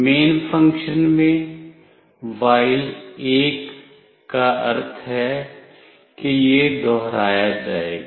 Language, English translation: Hindi, In the main function, while means this will be repeated